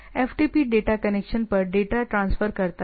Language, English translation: Hindi, FTP transfers data over the data connection